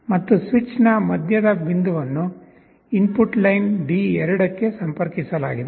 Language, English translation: Kannada, And the middle point of the switch is connected to the input line D2